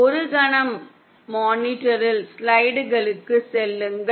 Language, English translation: Tamil, If we can, for a moment go back to slides on the monitor